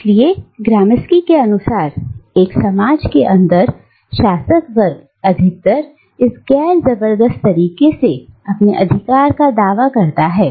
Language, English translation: Hindi, So, according to Gramsci, within a society, the ruling class mostly asserts itself, mostly asserts its authority, by this non coercive method